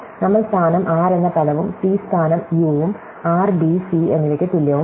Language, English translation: Malayalam, We look at the word position r and position c is u, r equal to b, c